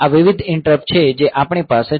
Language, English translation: Gujarati, So, these are the various interrupts that we have